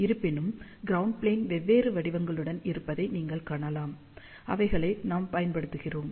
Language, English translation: Tamil, However, you can see there are different shapes of ground plane, which we have used